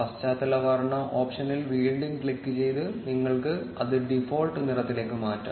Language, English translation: Malayalam, You can change it back to the default color by again clicking on the background color option